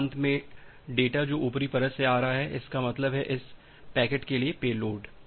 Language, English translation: Hindi, And finally, the data which is coming from the upper layer; that means, the pay load for this packet